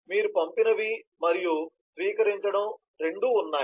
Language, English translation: Telugu, you have both the sent as well as receive